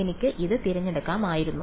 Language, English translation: Malayalam, I could have chosen this